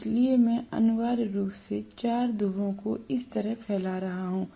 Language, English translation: Hindi, So, I am going to have essentially 4 poles protruding like this